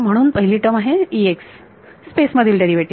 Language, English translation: Marathi, So, first term is E x derivative in space